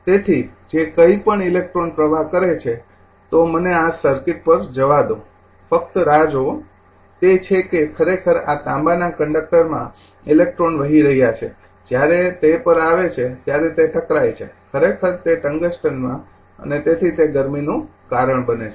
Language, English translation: Gujarati, So, whatever that electrons flow just let me go to this circuit just hold on, is that actually electrons is flowing through this copper conductor, when it come to that is at collision actually we that of the tungsten and therefore, it is causing as you know heat